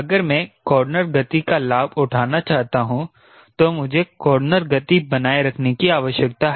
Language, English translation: Hindi, come here: if i want to take advantage of corner speed then i need to maintain the corner speed